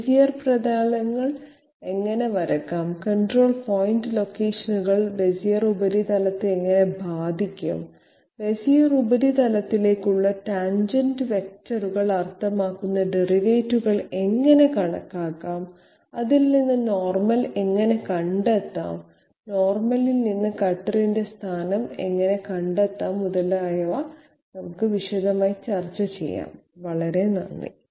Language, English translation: Malayalam, In detailed discussions about you know how Bezier surfaces can be drawn, how the control point locations can affect the Bezier surface, how to calculate the derivatives that means the tangent vectors to the Bezier surface and from that how to find out the normal, from the normal how to locate the cutter, etc, thank you very much